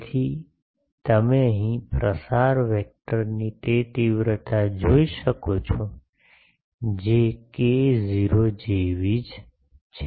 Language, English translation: Gujarati, So, here you can see that magnitude of the propagation vector that is same as k not